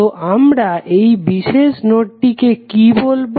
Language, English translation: Bengali, So, what we will call this particular node